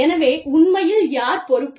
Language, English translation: Tamil, So, who is actually, responsible for